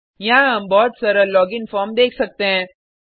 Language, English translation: Hindi, We can see a very simple login form here